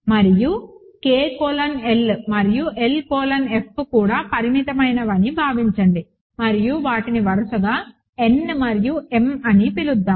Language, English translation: Telugu, Now, assume that both K colon L and L colon F are finite and let us call them n and m respectively